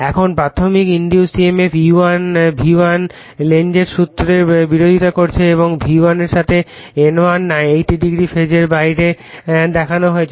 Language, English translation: Bengali, Now the primary induced emf E1 is in phase opposition to V1 / Lenz’s law and is showN180 degree out of phase with V1